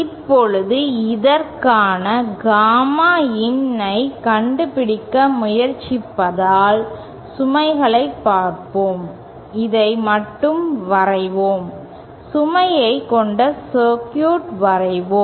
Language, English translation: Tamil, Now for this, let us just see the load since we are trying to find out gamma in, let us just draw the, let us just draw the circuit with the load in